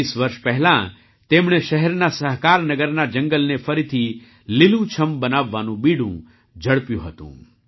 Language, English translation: Gujarati, 20 years ago, he had taken the initiative to rejuvenate a forest of Sahakarnagar in the city